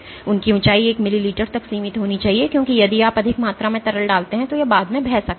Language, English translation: Hindi, So, their height should be limited to one millimeter because if you put more amount of liquid it might flow laterally